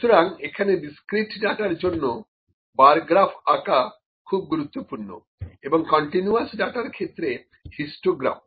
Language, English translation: Bengali, So, the graph for the plot for the discrete data is generally the, bar graph and for the continuous data it is generally the histogram